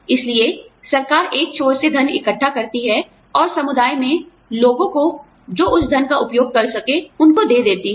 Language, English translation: Hindi, So, the government collects the money, from one end, and passes on to the people, in the community, who can use that money